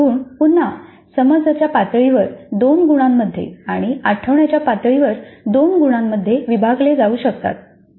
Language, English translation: Marathi, These 4 marks again are split into 2 marks at understand level and 2 marks at remember level